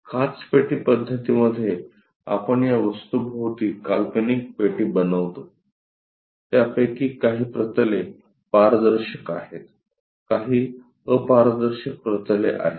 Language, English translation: Marathi, In the Glass box method, we construct an imaginary box around this object; some of them are transparentplanes, some of them are opaque planes